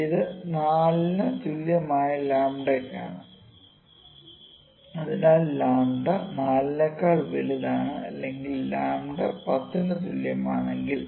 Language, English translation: Malayalam, So, this is for lambda equal to 4, so lambda even greater than 4 let me say lambda is equal to 10